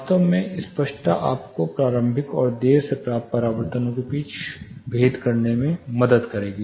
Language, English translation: Hindi, Actually clarity will help you attain or distinguish between initial and late reflections